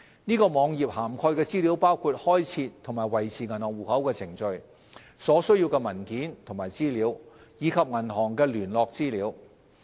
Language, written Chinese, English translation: Cantonese, 此網頁涵蓋的資訊包括開設和維持銀行戶口的程序、所需的文件和資料，以及銀行的聯絡資料。, The HKMA web page contains information about account opening and maintenance procedures documentation and information requirements and contact details of banks